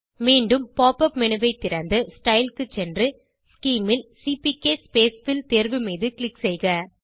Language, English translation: Tamil, Open the pop up menu again, go to Style, Scheme and click on CPK spacefill option